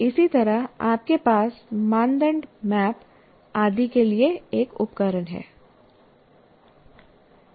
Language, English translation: Hindi, Similarly, you have a tool for mind map and so on